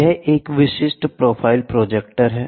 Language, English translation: Hindi, This is a typical profile projector